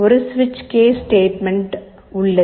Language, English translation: Tamil, There is a switch case statement